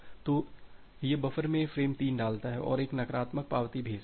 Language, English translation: Hindi, So, it puts frame 3 in the buffer and sends a negative acknowledgement